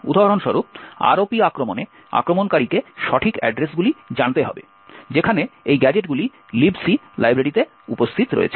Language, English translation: Bengali, For example, in the ROP attack, the attacker would need to know the exact addresses where these gadgets are present in the Libc library